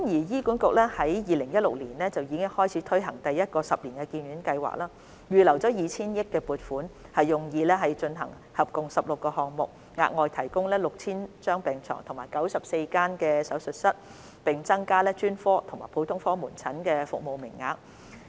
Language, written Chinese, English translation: Cantonese, 醫管局於2016年開始推行第一個十年醫院發展計劃，並預留 2,000 億元撥款，用以進行合共16個項目，以額外提供逾 6,000 張病床和94間手術室，並增加專科和普通科門診診所的服務名額。, In 2016 HA launched the First Ten - year Hospital Development Plan HDP and 200 billion was set aside to conduct a total of 16 projects for providing more than 6 000 additional bed spaces and 94 additional operating theatres as well as increasing the service quotas in specialist and general outpatient clinics